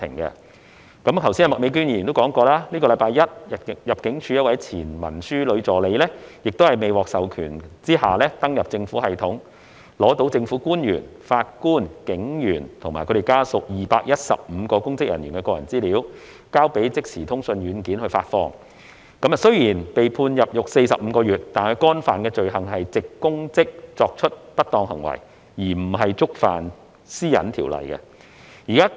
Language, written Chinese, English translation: Cantonese, 正如麥美娟議員剛才提到，本周一，入境事務處一位前文書女助理在未獲授權下登入政府系統，取得政府官員、法官、警員和家屬等215名公職人員的個人資料，交予即時通訊軟件發放，雖然被判入獄45個月，但她干犯的罪行是藉公職作出不當行為，而不是觸犯《個人資料條例》。, As Ms Alice MAK mentioned earlier a former clerical assistant of the Immigration Department obtained the personal data of 215 public officers including government officials judges police officers and their family members by logging into the Governments computer system without authorization and provided the data to an instant messaging service provider for publication . Although she was sentenced to imprisonment for 45 months on Monday this week the offence she committed was misconduct in public office rather than an offence under the Personal Data Privacy Ordinance PDPO